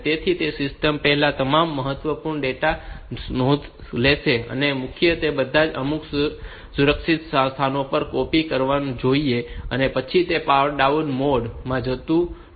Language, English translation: Gujarati, So, it will take a note of all the critical data that are there in the system their values and all that it should copy them onto some safe locations and then it should go into a power down mode